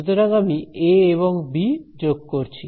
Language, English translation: Bengali, So, I am adding a and b right